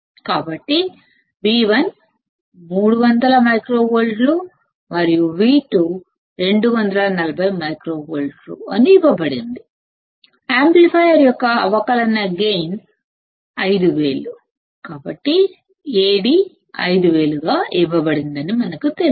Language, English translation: Telugu, So, it is given that V1 is 300 microvolts and V2 is 240 microvolts; the differential gain of the amplifier is 5000; so, we know that A d is also given as 5000